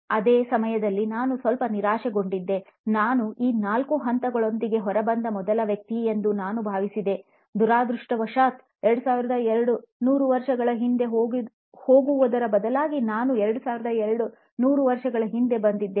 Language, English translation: Kannada, At the same time I was bit crestfallen, I thought I had come out with the, “ I was the first one to come out with these four stages,” unfortunately I was 2200 years old or rather 2200 years late